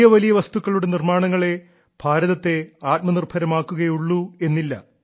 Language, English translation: Malayalam, And it is not that only bigger things will make India selfreliant